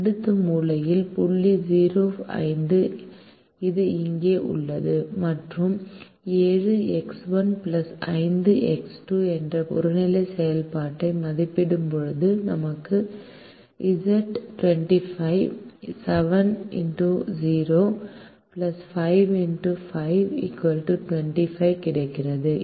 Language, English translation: Tamil, the next corner point is zero comma five, which is here, and when we evaluate the objective function, seven x one plus five x two, we get z is equal to twenty five